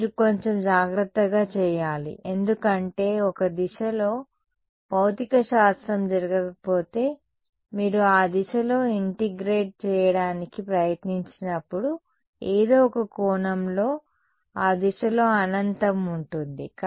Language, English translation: Telugu, You have to do a little carefully because if one direction there is no physics happening in one direction, in some sense there is an infinity in that direction when you try to integrate in that direction